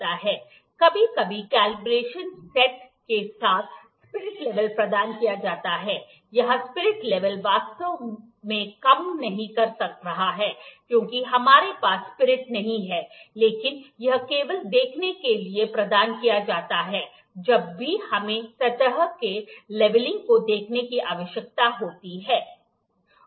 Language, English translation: Hindi, The spirit level is provided with the combination sometimes, here the spirit level is actually not working, because we do not have spirit in it, but it is also some provided to see the level, whenever we need to see the leveling of the surface